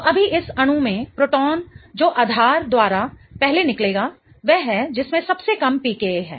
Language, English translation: Hindi, So, right now in this molecule, the proton that will get first abstracted by a base is the one that has the lowest PCAA